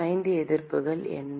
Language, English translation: Tamil, What are the 5 resistances